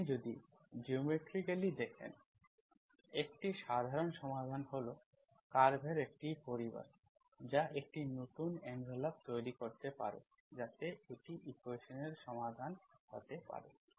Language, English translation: Bengali, If you view geometrically, a general solution is a family of curves that may generate a new envelope so that can be a solution of the equation